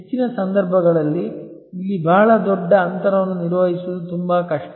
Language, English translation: Kannada, In most cases, it is very difficult to manage a very large gap here